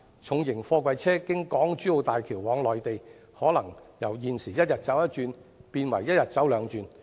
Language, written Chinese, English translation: Cantonese, 重型貨櫃車經港珠澳大橋往內地，可能由現時一天一趟變為一天兩趟。, Heavy goods vehicles may make two trips daily instead of one trip now if they go to the Mainland via HZMB